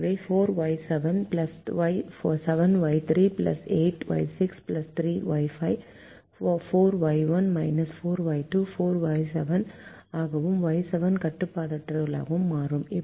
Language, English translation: Tamil, four y one minus four y two becomes four y seven y seven becomes unrestricted